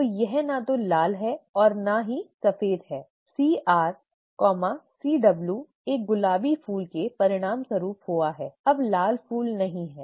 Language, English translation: Hindi, So it is neither red nor white, CR C capital R, C capital W has resulted in a pink flower, no longer a red flower